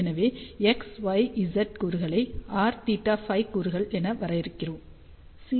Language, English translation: Tamil, So, that is how x, y, z components can be defined in terms of r, theta and phi component